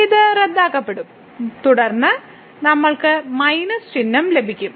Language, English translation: Malayalam, So, this gets cancelled and then we have with minus sign